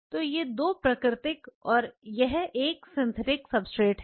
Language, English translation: Hindi, So, these 2 are the natural and this is the synthetic substrate